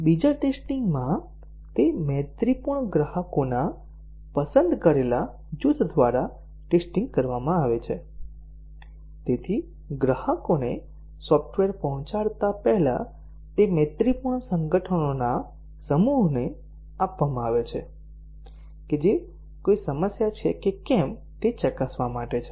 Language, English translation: Gujarati, In beta testing, it is tested by a select group of friendly customers; so before the software is delivered to the customers it is given to a set of friendly organizations just to test whether there are any problems